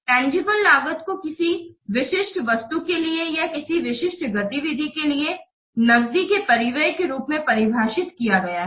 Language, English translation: Hindi, So, tangible cost is defined as an outlay of the cash for a specific item or for a specific activity